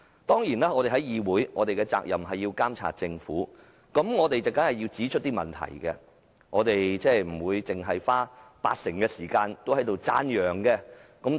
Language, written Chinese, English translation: Cantonese, 當然，我們在議會的責任是監察政府，指出問題，不會花八成時間讚揚政府。, Certainly our duty in the Council is to monitor the Government and pinpoint problems . We will not spend most of the time on singing praises of the Government